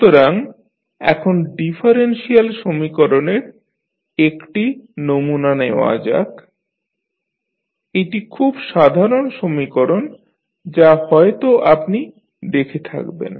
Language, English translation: Bengali, So, now let us take one sample differential equation say this is very common equation which you might have seen